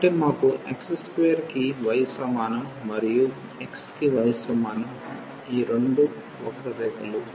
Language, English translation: Telugu, So, we have y is equal to x square and y is equal to x these two curves